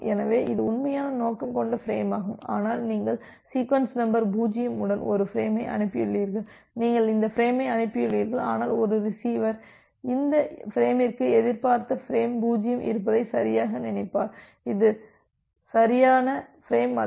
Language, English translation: Tamil, So, this was the actual intended frame, but you have sent a frame with sequence number 0, you have send this frame, but a receiver will correctly think this frame has this expected frame 0 which is not the correct frame